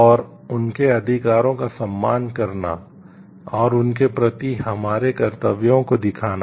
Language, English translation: Hindi, And, to respect their rights, and show our corresponding duties towards them